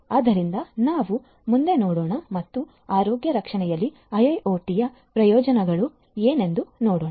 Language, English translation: Kannada, So, let us look further ahead and see what are the benefits of IIoT in healthcare